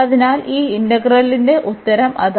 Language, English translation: Malayalam, So, that is the answer of this integral